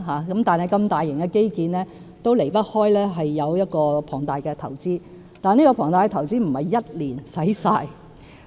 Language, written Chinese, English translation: Cantonese, 然而，如此大型的基建當然離不開龐大的投資，但這龐大的投資不是1年便用盡的。, For an infrastructure project of such a large scale however it will inevitably involve colossal investments yet such colossal investments are not expended in one year